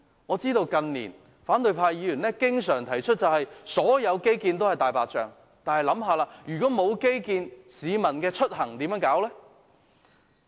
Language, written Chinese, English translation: Cantonese, 我知道，近年反對派議員經常指所有基建均是"大白象"，但大家試想想，沒有基建，市民出入又靠甚麼？, In recent years opposition Members regard all infrastructure projects as white elephants but may I ask without these infrastructures what can people get around?